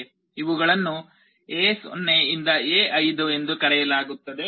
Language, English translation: Kannada, These are called A0 to A5